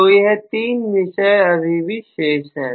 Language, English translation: Hindi, So, these are the 3 topics that are left over